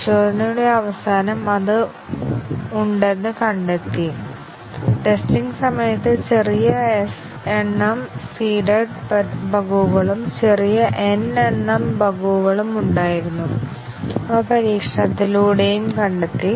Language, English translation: Malayalam, And at the end of testing, it was found that it has; small s numbers of seeded bugs were discovered during testing and small n number of bugs, which existed, they have also been discovered by testing